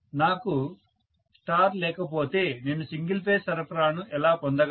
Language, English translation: Telugu, Unless I have a star, how am I going to derive a single phase supply